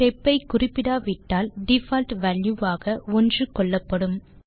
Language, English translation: Tamil, If no step is specified, a default value of 1 is assumed